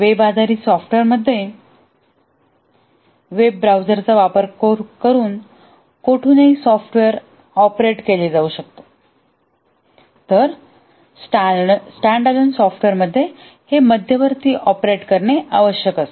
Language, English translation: Marathi, In a web based software, the software can be operated from anywhere using a web browser, whereas in a standalone software, it needs to be operated centrally